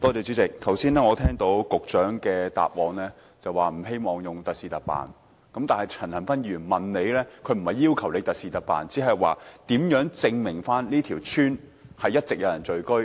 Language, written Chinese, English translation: Cantonese, 主席，剛才局長在答覆時表示，不希望特事特辦，但陳恒鑌議員並不是要求局長特事特辦，只是問如何證明這條村一直有人聚居？, President the Secretary has indicated in his reply just now that he does not wish to make special arrangements for a special case but Mr CHAN Han - pan is not asking the Secretary to make special arrangements for a special case . He is only seeking the answer to the question of how to prove that the village has all along been inhabited